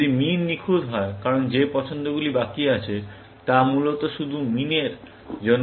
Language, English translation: Bengali, If min is perfect, because the choices that are left, are only for min, essentially